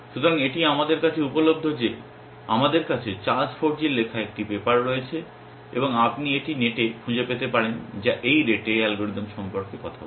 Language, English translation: Bengali, So, this is off course available to us that we have a paper written by Charles Forgy and you can find it on the net which talks about this is rete algorithm